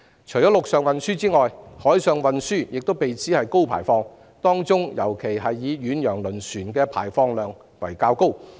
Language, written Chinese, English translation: Cantonese, 除了陸上運輸外，海上運輸亦被指為高排放，當中以遠洋輪船的排放量較高。, In addition to road transport marine transport is also pinpointed as a source of high emissions with ocean - going vessels contributing to a larger proportion